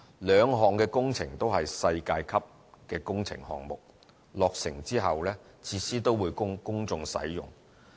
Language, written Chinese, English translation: Cantonese, 兩項工程都是世界級的工程項目，落成後的設施也會供公眾使用。, Both of them are world - class works projects and the facilities will be opened to the public upon completion